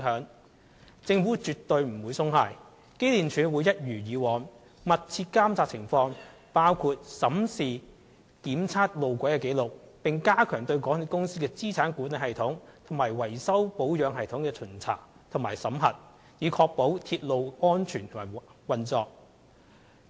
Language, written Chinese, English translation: Cantonese, 但政府絕不會鬆懈，機電署亦會一如以往，密切監察情況，包括審視路軌的檢測紀錄，並加強對港鐵公司的資產管理系統和維修保養系統的巡查及審核，以確保鐵路安全運作。, However the Government will never let up and EMSD will also closely monitor the situation as always including examining the track inspection records and strengthening the inspection and supervisory audits of MTRCLs asset management system and repair and maintenance regime so as to ensure the safety of railway operation